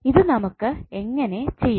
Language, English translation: Malayalam, So how we will do it